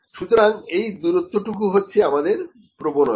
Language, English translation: Bengali, So, this distance is our bias